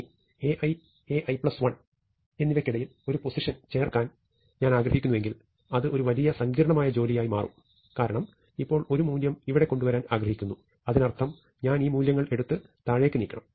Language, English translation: Malayalam, Now, on the other hand, if I want to insert an element between A i and A i plus 1, this becomes a bit complicated that because, supposing I now want to push a value here; that means, I have to take these values and move them down,; that means, each of these value has to be shifted by 1